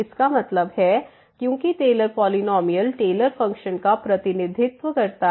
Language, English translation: Hindi, That means, because this Taylor’s polynomial representing the Taylor functions to some approximation